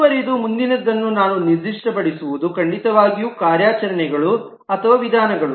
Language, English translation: Kannada, Moving on, the next that we need to specify is certainly operations or methods